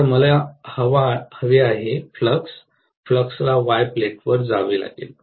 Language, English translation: Marathi, Now what I want is the flux, the flux has to go to the Y plate